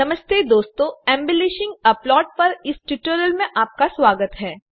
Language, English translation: Hindi, Hello friends Welcome to the tutorial on Embellishing a Plot